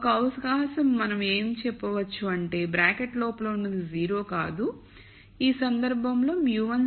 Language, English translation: Telugu, So, we could say one possibility is whatever is inside the bracket is not 0 in which case mu 1 has to be 0